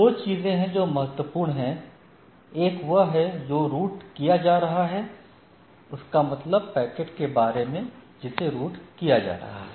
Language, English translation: Hindi, So, there are two things which is important: one is that what is being routed right, the packet which is being routed